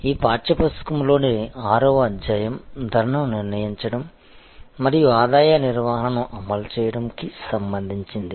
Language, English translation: Telugu, So, chapter number 6 in this text book is titled as setting price and implementing revenue management